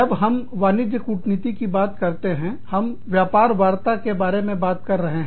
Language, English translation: Hindi, When we talk about, commercial diplomacy, we are talking about, trade negotiations